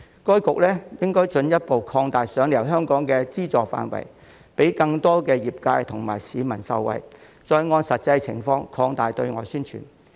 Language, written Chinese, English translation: Cantonese, 該局應進一步擴大"賞你遊香港"的資助範圍，讓更多業界及市民受惠，並按實際情況擴大對外宣傳。, HKTB should further increase the funding for the programme to benefit more sectors and members of the public and enhance its overseas publicity work in the light of the actual situation